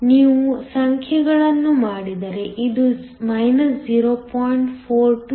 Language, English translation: Kannada, So, if you do the numbers, this is equal to 0